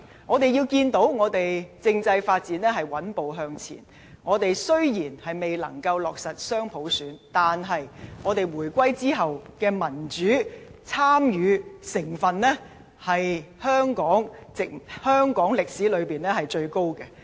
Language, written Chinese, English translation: Cantonese, 我們看到，政制發展穩步向前，我們雖然未能夠落實雙普選，但是回歸後的民主參與程度，是香港歷來最高的。, At present constitutional development is moving forward steadily . Even though dual universal suffrage has yet to be implemented the level of peoples democratic participation after the reunification has been the highest in the history of Hong Kong